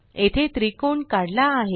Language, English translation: Marathi, Here the triangle is drawn